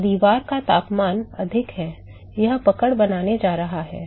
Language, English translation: Hindi, So, wall temperature is higher, it is going to catch up with the